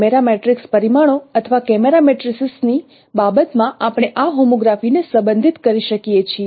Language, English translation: Gujarati, In terms of camera matrix parameters or camera matrices we can relate this homography